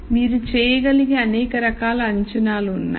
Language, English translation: Telugu, So, there are many types of assumptions that you can make